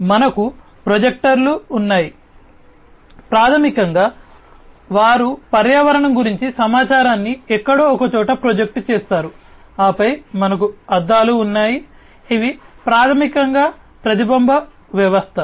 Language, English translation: Telugu, Then we have the projectors, these projectors, basically, they project the information about the environment to somewhere and then we have the mirrors this is basically the reflection system